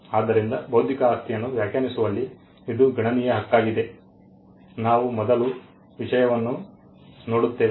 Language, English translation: Kannada, So, it is quite a substantial Right in defining intellectual property we first look at the subject matter